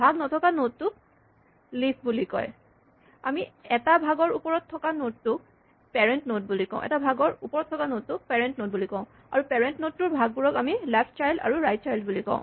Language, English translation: Assamese, A node which has no children is called a leaf and then with respect to a child we call the parent node, the node above it and we refer to the children as the left child and the right child